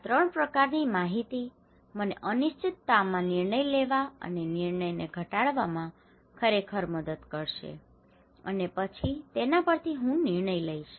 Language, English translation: Gujarati, These 3 information would really help me to reduce the decision and making in uncertainty and then I would make decisions